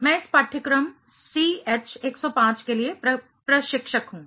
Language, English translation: Hindi, I am the instructor for this course CH105